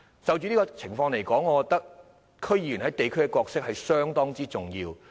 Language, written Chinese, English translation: Cantonese, 就這個案而言，我覺得區議員在地區的角色非常重要。, In this case I consider the role played by DC members in the districts greatly important